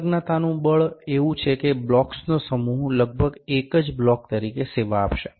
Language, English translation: Gujarati, The force of adhesion is such that a set of blocks will almost serve as a single block